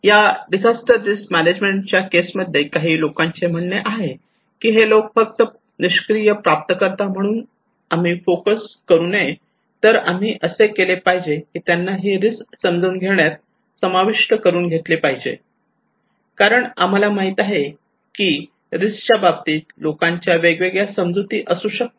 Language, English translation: Marathi, Some people are saying in case of disaster risk management that our focus is not that people are not passive recipient, but what we do then we actually involve them in understanding the risk because we know people have different understanding of the risk